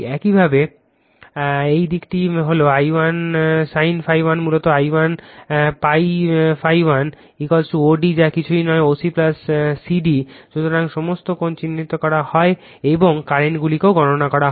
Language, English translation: Bengali, Similarly this side is if you make I 1 sin phi 1 is basically I 1 psi phi 1 is equal to OD that is nothing, but OC plus CD, right